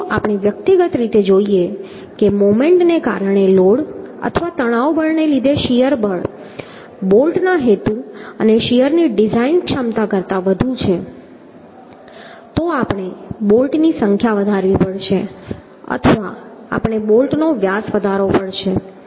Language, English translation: Gujarati, So if, if we see that individually uhh, the shear forces due to the load or tensile force due to the moment is more than the design capacity of the bolt intention and shear, then we have to increase the number of bolts or we have to increase the diameter of bolt whatever feels suitable